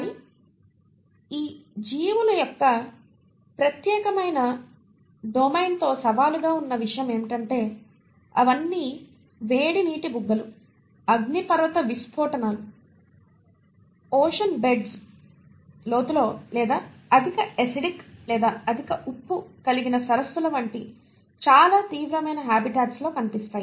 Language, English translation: Telugu, But what has been challenging with this particular domain of living organisms is that they all are found in very extreme habitats, such as the hot water springs, the volcanic eruptions, deep down in ocean beds and or an highly acidic or a high salt content lakes